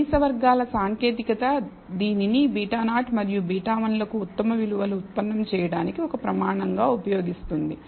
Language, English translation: Telugu, So, the least squares technique uses this as a criterion in order to derive the best values of beta 0 and beta 1